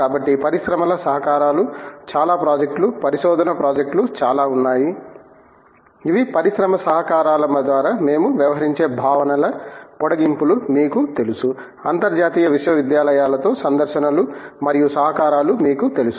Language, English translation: Telugu, So, lot of industry collaborations, lot of projects, lot of research projects which maybe you know extensions of concepts that we are dealt with through industry collaborations, lots of extensive you know visits and collaborations with international universities and so on